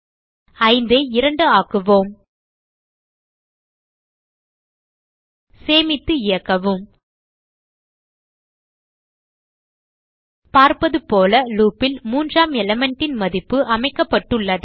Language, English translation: Tamil, So change 5 to 2 Save and run As we can see, the value of the third element has been set in the loop and it is 9